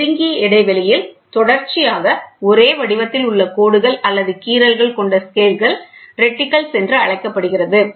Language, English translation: Tamil, Scales with a continuous repeating pattern of lines or groves that are closely spaced are called as reticles